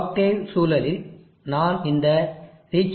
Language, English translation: Tamil, In the octave environment, I have run this reachability